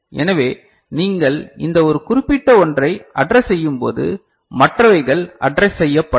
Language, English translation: Tamil, So, when you are addressing this one this particular line of course, the others ones are not addressed